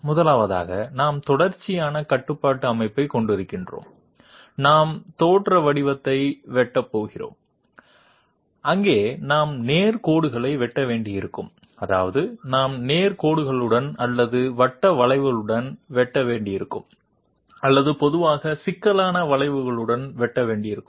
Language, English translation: Tamil, First of all, we are having a continuous control system, we are going to cut profiles and there we might have to cut straight lines, I mean we might have to cut along straight lines or along a circular arc or in a more generally we, we might have to cut along complex curves also